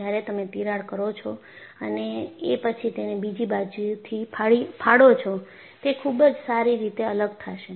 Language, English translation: Gujarati, Whereas, you put a crack and then hit it from other side; it will separate very well